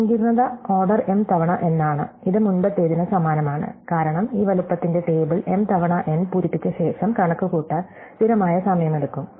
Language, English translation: Malayalam, The complexity is order m times n, it is exactly the same as the previous one, because after we fill up this table of size m times n and it takes a constant time to compute